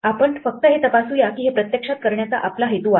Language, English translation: Marathi, Let us just check that this works the way we actually intended to do